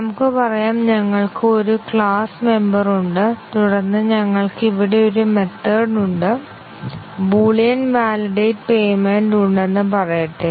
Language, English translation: Malayalam, Let say, we have a class member and then we have a method here, let say Boolean validate payment